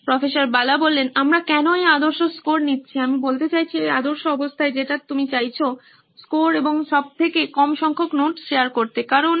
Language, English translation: Bengali, Why we are doing this is that the ideal scores, I mean the ideal situation that you want to be in is that you want the high scores and lowest number of notes shared because